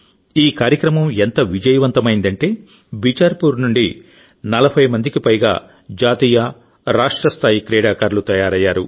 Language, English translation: Telugu, This program has been so successful that more than 40 national and state level players have emerged from Bicharpur